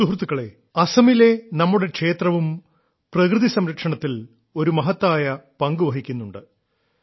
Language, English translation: Malayalam, our temples in Assam are also playing a unique role in the protection of nature